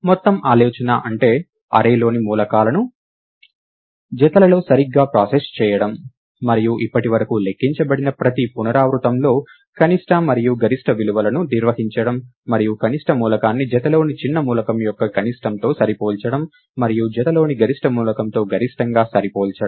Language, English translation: Telugu, So, the whole idea is, to process the elements in the array in pairs right and maintain the minimum and the maximum values, in each iteration that have been calculated so far, and compare the minimum element with the minimum of the the smaller element of a pair, and compare the maximum to the maximum element in the pair